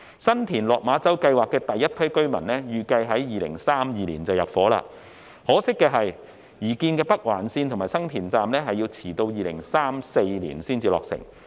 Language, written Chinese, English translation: Cantonese, 新田/落馬洲計劃第一批居民預計於2032年入伙，可惜的是，擬建的北環綫及新田站遲至2034年才落成。, The first resident intake of the San TinLok Ma Chau project is expected to take place in 2032 . Unfortunately the proposed Northern Link and San Tin station will only be completed in 2034